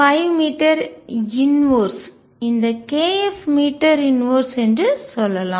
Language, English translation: Tamil, 5 meter inverse k f is this meter inverse